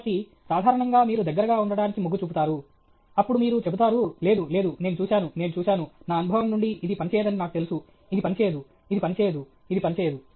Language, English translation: Telugu, So, generally, you tend to get close, then you will say, no, no, I have seen, I have seen, I know from my experience this will not work, this will not work, this will not work, this will not work okay